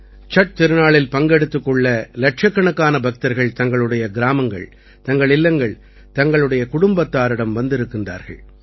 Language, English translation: Tamil, Lakhs of devotees have reached their villages, their homes, their families to be a part of the 'Chhath' festival